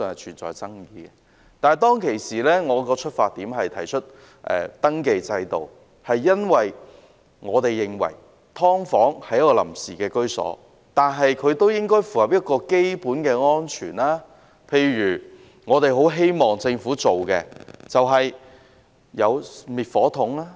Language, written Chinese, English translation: Cantonese, 但是，當時我提出登記制度，出發點是因為我們認為雖然"劏房"是臨時居所，但也應該符合基本的安全標準，例如最低限度設置滅火筒。, However when I proposed the introduction of a registration system back then my intention was that even though the subdivided units were intended to be a provisional housing option they should meet the basic safety standards . For instance they should at least be retrofitted with fire extinguishers